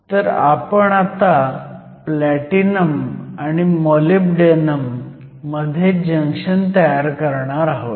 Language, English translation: Marathi, So, I am going to form a junction between platinum and then molybdenum